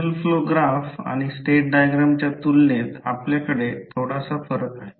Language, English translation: Marathi, Which we have little bit difference as compared to signal flow graph and the state diagram